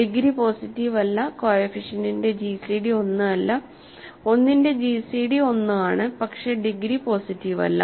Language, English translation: Malayalam, Degree is not positive, gcd of the coefficient is not 1 whereas, 1 gcd of the question is 1, but the degree is not positive